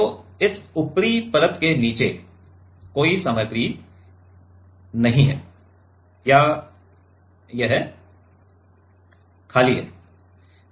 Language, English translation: Hindi, So, below this top layer the there is no material or this is empty